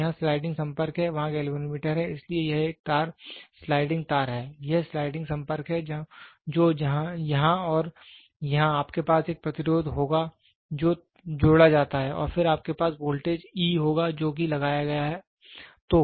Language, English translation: Hindi, So, sliding contact is the here, there is the galvanometer so, this is a wire sliding wire, this is the sliding contact which is here and here you will have a resistance which is added and then you will have voltage which is applied E